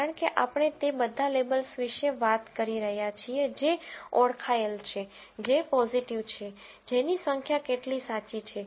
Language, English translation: Gujarati, Because we are talking about all the labels that are identified are as positive that is, this number of which how many are true